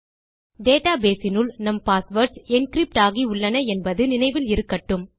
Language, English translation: Tamil, Please remember that inside our database, our passwords are encrypted